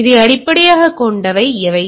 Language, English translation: Tamil, So, what are the based on this